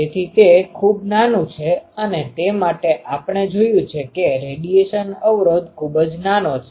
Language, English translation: Gujarati, So, it is very small and for that we have seen that it is radiation resistance is very very small